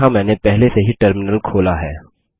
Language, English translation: Hindi, I have already invoked the Terminal here